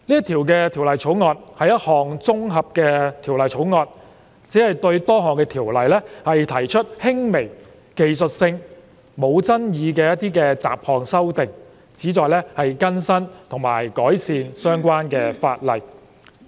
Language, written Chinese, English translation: Cantonese, 《條例草案》是一項綜合的法案，只是對多項條例提出輕微、技術性、無爭議的雜項修訂，旨在更新和改善相關的法例。, The Bill is an omnibus bill proposing miscellaneous amendments which are minor technical and non - controversial to various Ordinances for the purpose of updating and improving the relevant legislation